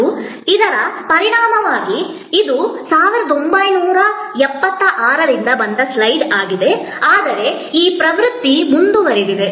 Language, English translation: Kannada, And as a result this is a slide from 1976, but this trend is continuing